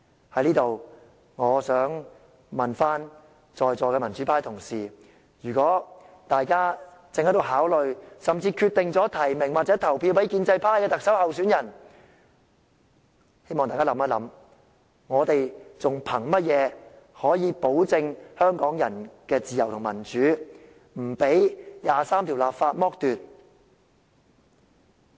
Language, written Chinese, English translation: Cantonese, 在此，我想問問在座的民主派同事，如果大家正考慮，甚至決定提名或投票給建制派的特首候選人，希望大家思考一下，我們還憑甚麼保證香港人的自由與民主不被第二十三條剝奪？, Here I would like to ask my democrat colleagues if they are considering or even have decided to nominate or vote for a Chief Executive candidate from the pro - establishment camp I hope they can think about what else can we rely on to ensure that Hong Kong people will not be deprived of their freedoms and democracy by Article 23?